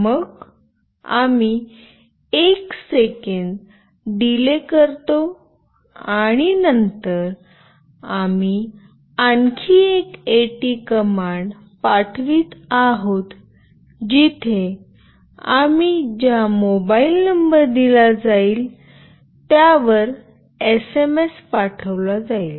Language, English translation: Marathi, Then we give a delay of 1 second and then again we are sending another AT command where we are providing the mobile number to which the SMS will be sent